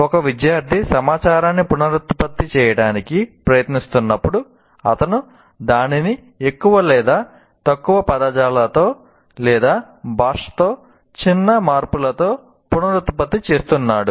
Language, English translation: Telugu, That means a student is exactly trying to reproduce the information more or less verbating or with the minor changes in the language